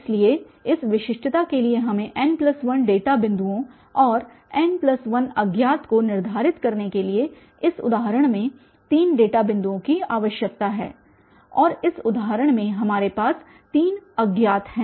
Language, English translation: Hindi, So, for this uniqueness we need n plus 1 data points and three data points in this example to determine n plus 1 unknown and in this example, we have three unknowns for instance